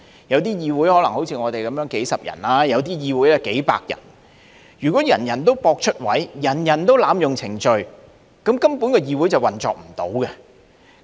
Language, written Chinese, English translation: Cantonese, 有些議會可能好像我們有數十人，有些更有數百人，如果人人都博出位，人人都濫用程序，議會根本無法運作。, The legislature in some places may be composed of a few dozen members like ours and the legislature in some other places may even consist of hundreds of Members . If members only want to gain the limelight and abuse the proceedings it will be utterly impossible for the legislature to operate